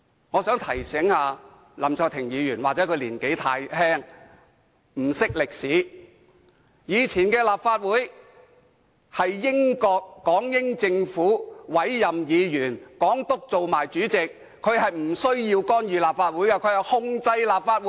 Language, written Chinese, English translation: Cantonese, 我想提醒林議員，也許他年紀太輕，不懂歷史，以前的立法局是由港英政府委任議員，由港督兼任主席，港督不用干預立法局，而是控制立法局。, I would like to remind Mr LAM perhaps he is too young and he does not know much about history . In the past Members of the Legislative Council were appointed by the British Hong Government and the Governor was the President . The Governor did not need to interfere with the Legislative Council as he was in control of the Legislative Council